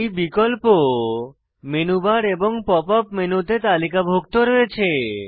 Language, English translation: Bengali, These options are listed in the Menu bar and Pop up menu